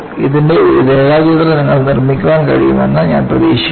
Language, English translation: Malayalam, I hope you are able to make a sketch of this